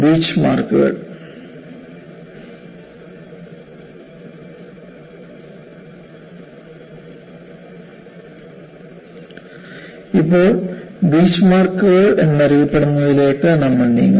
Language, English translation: Malayalam, Now, we move on to, what are known as Beachmarks